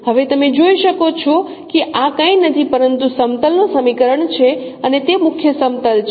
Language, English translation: Gujarati, Now you can see that this is nothing but the equation of a plane and that is the principal plane